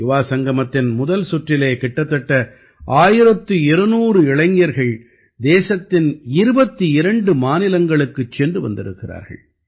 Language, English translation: Tamil, In the first round of Yuvasangam, about 1200 youths have toured 22 states of the country